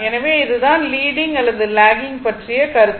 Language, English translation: Tamil, So, this is the concept for leading or lagging right